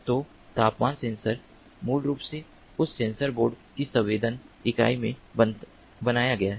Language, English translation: Hindi, so temperature sensor is basically built into that sensing unit of that sensor board